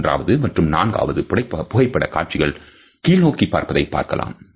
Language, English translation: Tamil, The third and the fourth photographs depict the gaze which is downwards